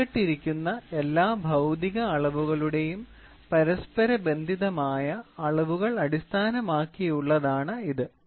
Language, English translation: Malayalam, It is based on correlated measurements of all the physical quantities involved